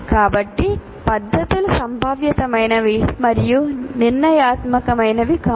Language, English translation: Telugu, So the methods are probabilistic and not deterministic